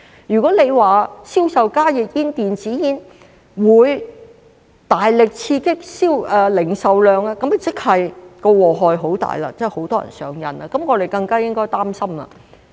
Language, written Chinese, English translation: Cantonese, 如果說銷售加熱煙和電子煙會大力刺激零售量，那麼即是禍害很大，有很多人上癮，這樣我們更加應該擔心。, Should HTPs and e - cigarettes become a major stimulus to retail sales it means that they will bring disaster as many people will become addicted . We therefore have all the more reason to be concerned